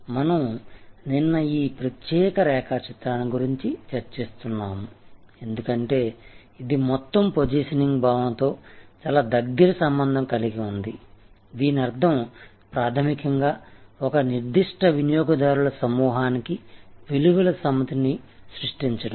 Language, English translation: Telugu, So, we were discussing yesterday this particular diagram, because this is very closely associated with the whole concept of positioning, which fundamentally means creating a set of values for a certain targeted group of customers